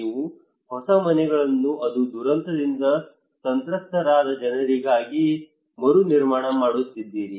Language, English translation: Kannada, You are reconstructing new houses it is for the people who are affected by a disaster